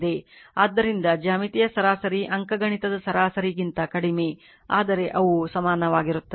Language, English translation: Kannada, So, geometric mean is less than the arithmetic mean except they are equal